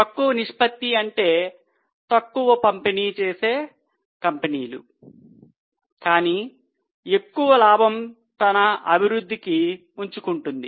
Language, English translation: Telugu, A lower ratio will mean that company is distributing less but retaining the profit for own growth